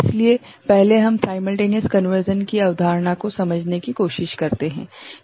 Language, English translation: Hindi, So, first we try to understand the concept of simultaneous conversion ok